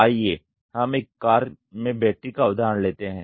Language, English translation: Hindi, Let us take the example of battery in a car